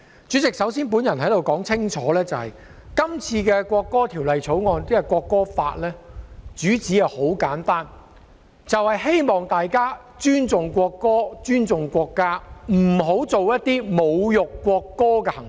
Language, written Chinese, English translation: Cantonese, 主席，我首先想說清楚，《條例草案》的主旨很簡單，就是希望大家尊重國歌、尊重國家，不要做出一些侮辱國歌的行為。, Chairman I wish to make it clear at the very beginning that the main theme of the Bill is very simple and it is the hope that people would respect the national anthem and the country while refraining from engaging in behaviours which will insult the national anthem